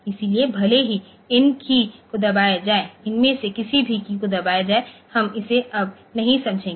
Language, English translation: Hindi, So, even if these keys are pressed any of these keys are pressed we are not going to sense it now ok